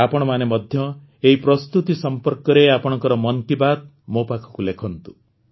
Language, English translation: Odia, Do keep writing your 'Mann Ki Baat' to me about these preparations as well